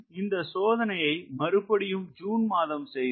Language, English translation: Tamil, then we again repeated this trial in june